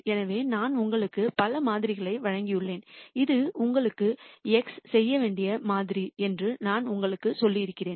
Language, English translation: Tamil, So, I have given you several samples and I have told you that this is the model that you need to x